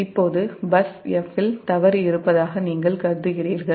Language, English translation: Tamil, now you assume that there is a fault at bus f